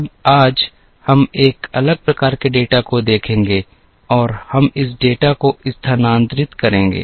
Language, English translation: Hindi, Now today, we will look at a different type of data and we will move to this data